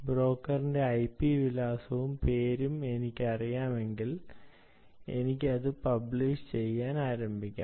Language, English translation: Malayalam, p address of the broker, if i know the name of the broker, i can start publishing it